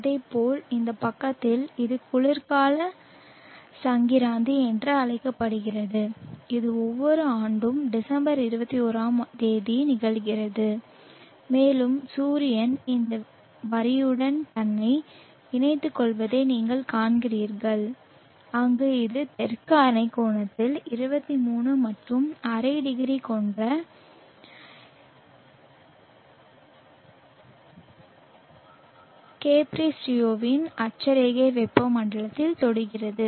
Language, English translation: Tamil, And in the southern hemisphere it is doing that likewise on this side this is called the winter soled sties and this occurs on December 21st every year and you see that the sun allying itself along this line where it touches the latitude tropic of capriccio which is 23 and half degrees in the southern hemisphere